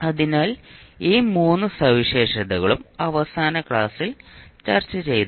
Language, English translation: Malayalam, So these three we discussed in the last class